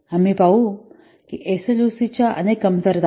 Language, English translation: Marathi, We will see there are several drawbacks of SLOC